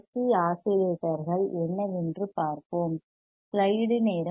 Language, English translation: Tamil, So, let us see what are the LC oscillators are